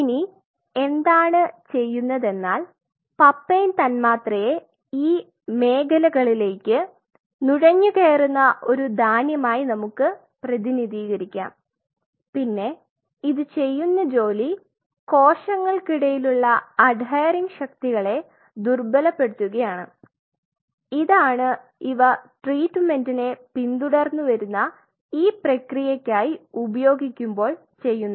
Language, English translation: Malayalam, Now, what papain does is, let us represent papain molecule as a grain it kind of infiltrate into these zones and the job it is does is weaken the adhering forces between the cells, this is what it does and in that process followed by this treatment